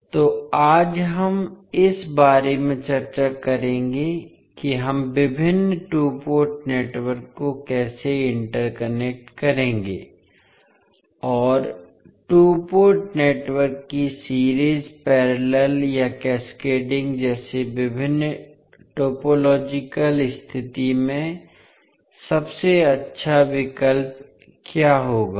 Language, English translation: Hindi, So today we will discuss about how we will interconnect various two port networks and what would be the best options in a different topological condition such as series, parallel or cascading of the two port networks